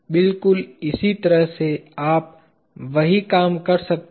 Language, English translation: Hindi, In a very similar way you can do the same thing